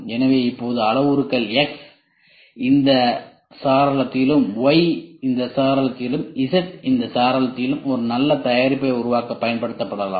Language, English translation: Tamil, So, now, the parameters X this window Y this window Z this window might be used to produce a good product such that you get this del